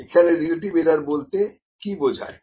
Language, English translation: Bengali, So, relative error is what